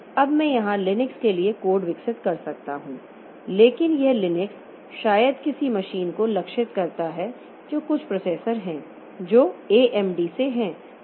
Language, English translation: Hindi, Now I can develop the code for Linux here but this Linux may be targeted to some machine which is some processor which is from AMD